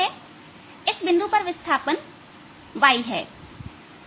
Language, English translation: Hindi, at this point the displacement is y